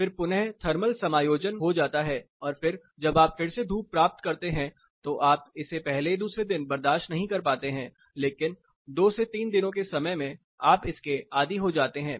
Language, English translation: Hindi, So, there is a thermal readjustment and then when you get sun again you cannot tolerate it for the first day, the second day, but in 2 to 3 days time, you get used to it again this is a short term adjustment